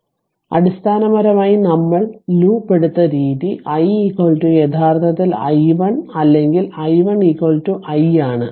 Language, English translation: Malayalam, So, basically the way we have taken the loop it is i is equal to actually i 1 or i 1 is equal to i